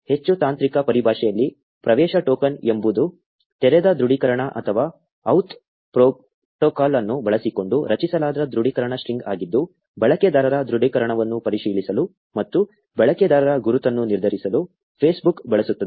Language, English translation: Kannada, In more technical terms, the access token is an authentication string generated using the open authentication or OAuth protocol which Facebook uses to verify the authenticity of the user and determine the user's identity